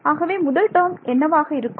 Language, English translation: Tamil, So, first term what will be the first term be